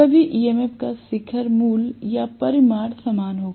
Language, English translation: Hindi, All the EMF will have the peak value or the magnitude to be the same